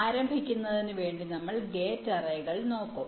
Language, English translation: Malayalam, to start be, we shall be looking at gate arrays